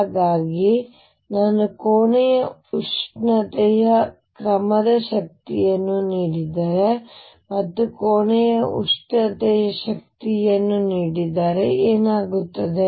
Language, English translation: Kannada, So, what happens is if I give energy of the order of room temperature, and if I give the energy of room temperature